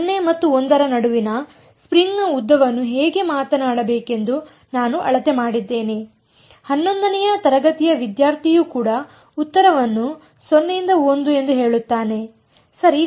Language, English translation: Kannada, I have measured how to speak the length of the string between 0 and l right even a class eleven student will say answer is 0 to l right